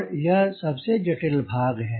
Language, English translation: Hindi, where is most difficult part